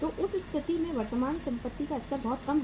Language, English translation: Hindi, So in that case the level of current assets is very very low